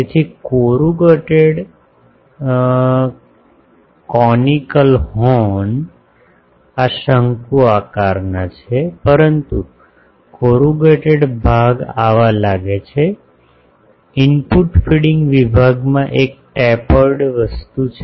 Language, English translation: Gujarati, So, a corrugated conical horn this is conical, but corrugated section looks like these in the input feeding section there is a tapered thing